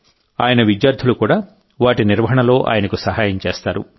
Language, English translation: Telugu, His students also help him in their maintenance